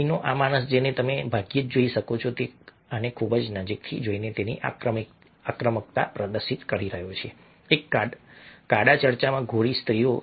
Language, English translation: Gujarati, this man over here, whom you can barely see, he is displaying his aggression by looking very closely at this white women in a black church